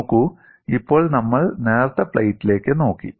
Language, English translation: Malayalam, See, now we have looked at thin plate